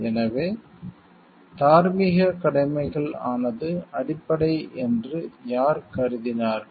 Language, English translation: Tamil, So, who for him held that the moral duties are fundamental